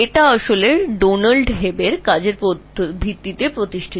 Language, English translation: Bengali, This was actually based on Donald Hebb's work